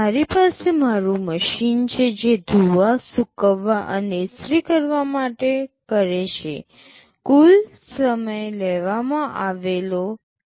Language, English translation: Gujarati, I have my machine that does washing, drying and ironing, the total time taken is T